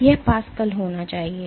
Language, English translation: Hindi, So, it should be Pascals